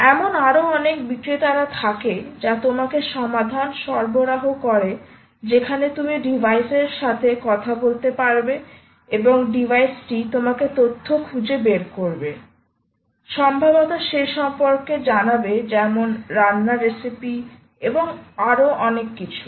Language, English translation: Bengali, if there are so many other vendors which provide you solutions where essentially, you can talk to the device and the device will find out ah, get you information and perhaps tell you about whether, tell you about cooking recipes and so on and so forth, so many nice things it does ah